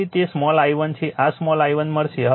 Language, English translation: Gujarati, So, it is small i1 right small i1 you will get this